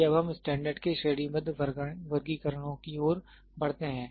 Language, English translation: Hindi, Let us now move to hierarchical classifications of standard